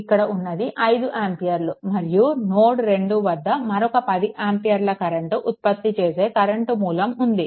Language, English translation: Telugu, Here is 5 amperes and another 10 ampere current source is there at node 2